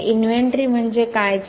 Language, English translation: Marathi, So, what is an inventory